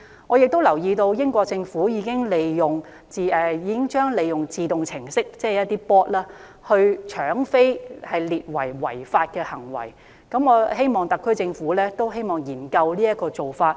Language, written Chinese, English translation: Cantonese, 我亦留意到英國政府已經將一些利用自動程式的搶票行為列為違法，我希望特區政府也可以研究這個做法。, I also noted that the Government in the United Kingdom had outlawed the use of bots to buy up tickets . I hope that the Special Administrative Region Government will study this approach